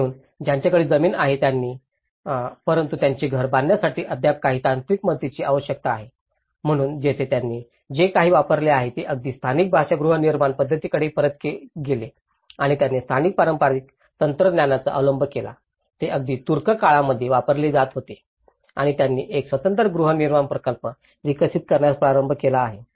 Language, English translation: Marathi, So, those who have a land but require still some technical assistance to construct their house, so here, what they have used they even gone back to the vernacular housing methodologies and they adopted the local traditional technologies, which were even used in Ottoman times and they have started developing a detached housing projects